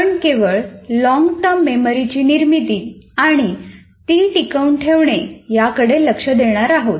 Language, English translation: Marathi, We will only be dealing with formation of long term memory and retention